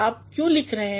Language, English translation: Hindi, Why you are writing